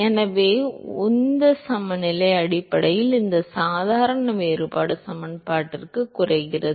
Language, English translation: Tamil, So, momentum balance essentially reduces to this ordinary differential equation